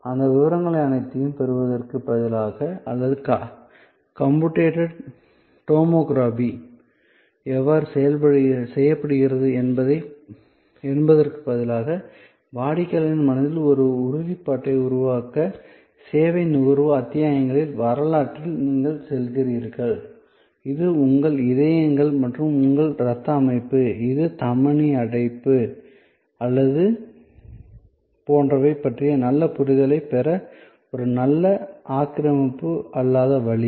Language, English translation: Tamil, So, there instead of getting into all those details or how computed tomography is done, you go in to case history, an episodes of service consumption to create the assurance in customers mind, that this is a good non invasive way of getting a good understanding of your hearts functioning or your blood system or if the arterial blockage or etc